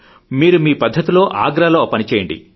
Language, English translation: Telugu, No, in your own way, do it in Agra